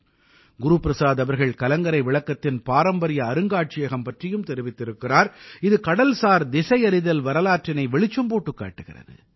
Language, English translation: Tamil, Guru Prasad ji also talked about the heritage Museum of the light house, which brings forth the history of marine navigation